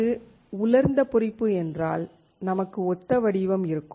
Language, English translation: Tamil, If it is dry etching, we will have something similar structure